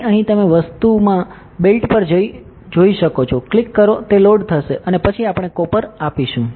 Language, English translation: Gujarati, So, in here you can go to built in materials, click it will load and then we give copper